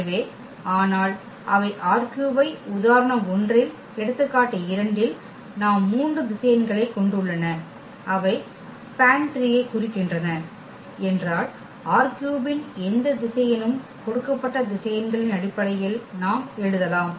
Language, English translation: Tamil, So, but they do not span R 3 in example 1 in example 2 we have three vectors and they span R 3 means any vector of R 3 we can write down in terms of those given vectors